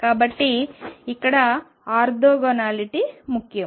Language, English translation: Telugu, So, orthogonality here is important